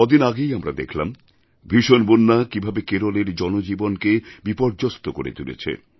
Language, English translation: Bengali, We just saw how the terrible floods in Kerala have affected human lives